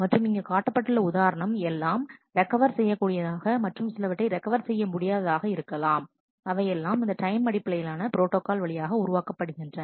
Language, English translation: Tamil, And actually examples can be shown that they may not even be recoverable there may be some irrecoverable schedules that get produced through this time based protocol